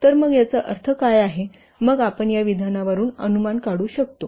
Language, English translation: Marathi, What is it's what inference we can draw from this statement